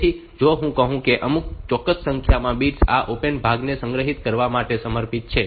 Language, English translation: Gujarati, So, if I say that certain numbers of bits are dedicated for storing this opcode part